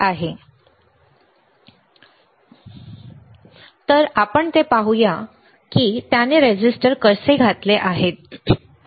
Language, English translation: Marathi, So, let us see so, again let us see how he has inserted the resistors